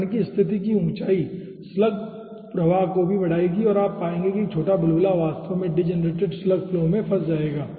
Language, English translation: Hindi, so the height of the particle position will be increasing the slug flow also and you will find out that a small bubble will be actually getting entrapped in the degenerated slug flow